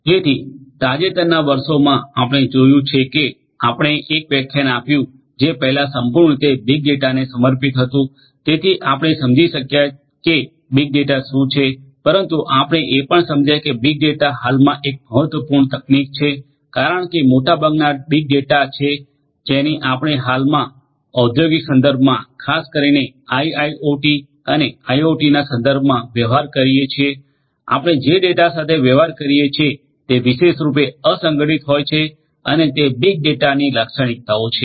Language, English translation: Gujarati, So, in recent years as we have seen before we had a lecture which was completely dedicated to big data so we have understood what big data is, but what we have understood is also that big data at present is an important technology because big data is what most of the data, that we are dealing with at present particularly in the industrial context, particularly in the IIoT and IoT contexts, the nature of the data that we deal with are typically unstructured and having the characteristics of the big data